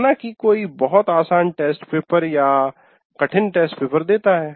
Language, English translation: Hindi, And what happens is one may be giving a very easy test paper or a difficult test paper